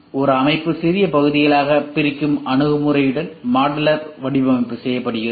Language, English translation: Tamil, Modular design is made with an approach that subdivides a system into smaller parts called modules or skids